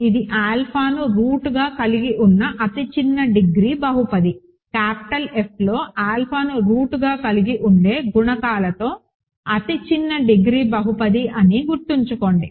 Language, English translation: Telugu, Remember, this is the smallest degree polynomial which has alpha as a root, smallest degree polynomial with coefficients in capital F which has alpha as a root